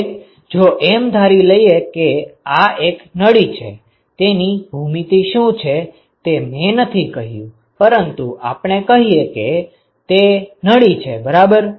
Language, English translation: Gujarati, If I assume that it is a tube, I have not said what the geometry is, but let us say it is a tube ok